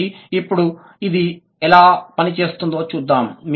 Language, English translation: Telugu, So, now let's see how it works